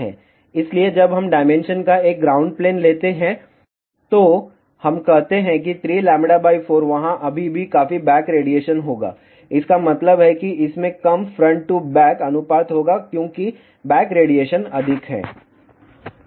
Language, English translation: Hindi, So, when we take a flat ground plane of the dimension, let us say 3 by 4th lambda there still will be considerable back radiation that means, it will have a low front to back ratio, because back radiation is more